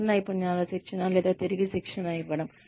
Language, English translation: Telugu, New skills training or retraining